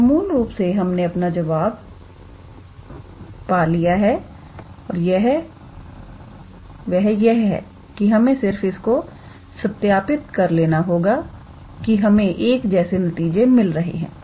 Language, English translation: Hindi, So, basically we have found the answer it is just that we want to verify whether we will obtain the same result or not